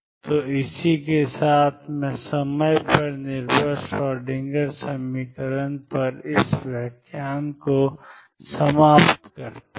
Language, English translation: Hindi, So, with this I conclude this lecture on time dependent Schroedinger equation